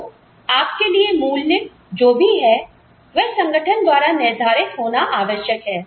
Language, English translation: Hindi, So, whatever is of value to you, will need to be decided by the organization